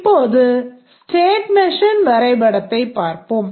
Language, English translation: Tamil, Now let's look at the state machine diagram